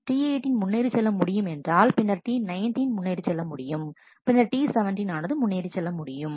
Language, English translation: Tamil, And if T 18 is able to proceed then T 19 would be able to proceed, and then T 17 would be able to proceed